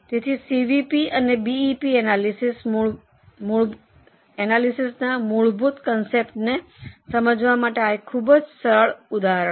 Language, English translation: Gujarati, So, now this was a very simple illustration to understand the basic concepts of CVP and BEP analysis